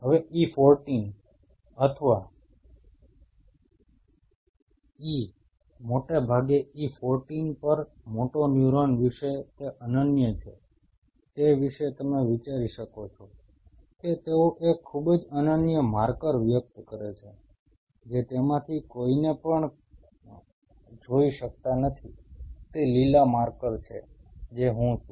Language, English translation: Gujarati, Now what is unique about the motoneuron at E14 or E mostly E14 you can think about is they express a very, very unique marker, which cannot be seen any anyone of them like, it this green is that marker what I am